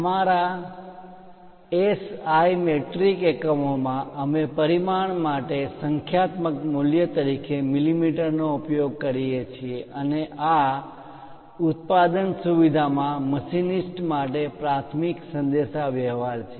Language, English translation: Gujarati, In our SI metric units, we use mm as numerical value for the dimension and this is the main communication to machinists in the production facility